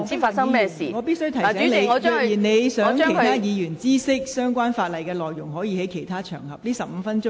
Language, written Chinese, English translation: Cantonese, 黃碧雲議員，我必須提醒你，如你想讓其他委員知悉有關條例草案的內容，你可在其他場合論述。, Dr Helena WONG I must remind you that if you want to inform other Members of the contents of the Bill you may discuss on other occasions